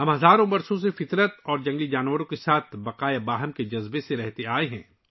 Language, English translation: Urdu, We have been living with a spirit of coexistence with nature and wildlife for thousands of years